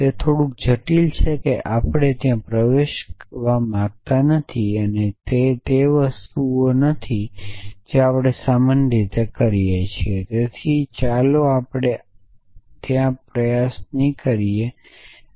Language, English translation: Gujarati, That is a little bit complicated we do not want to get into there and that is not the sort of thing we normally do so let us not try and do that even essentially